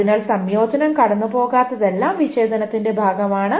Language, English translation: Malayalam, So, everything that the conjunction does not pass is part of the disjunction